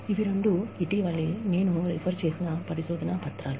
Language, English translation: Telugu, Actually, these are two recent research papers, that I have referred to